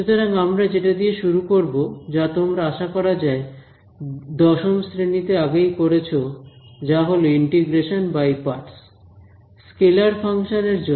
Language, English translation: Bengali, So, we will start with again something which you do in class 10 hopefully which was integration by parts for a scalar function